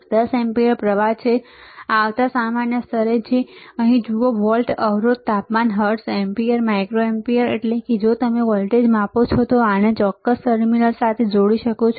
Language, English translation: Gujarati, 10 ampere current, next common ground, right here see volt, resistance, temperature, hertz, milliampere, micro ampere means you can if you measure voltage, you can connect to this particular terminal